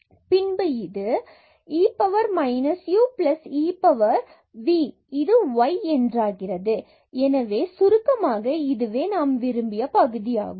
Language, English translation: Tamil, So, we will get minus e power minus v and then we have here y with respect to v